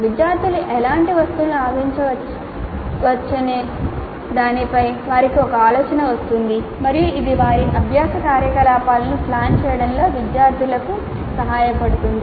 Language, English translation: Telugu, They would get an idea as to what kind of items the students can expect and that would be helpful for the students in planning their learning activities